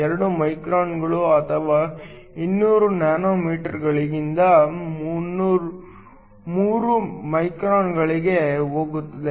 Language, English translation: Kannada, 2 microns or 200 nanometers to 3 microns